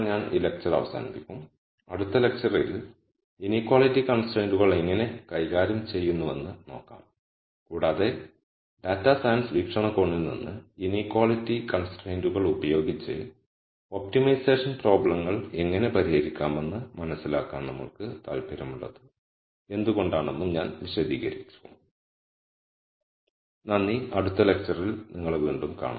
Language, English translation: Malayalam, With this I will conclude this lecture and in the next lecture we will look at how we handle inequality constraints and I will also explain why we are interested in understanding how optimization problems are solved with inequality constraints from a data science perspective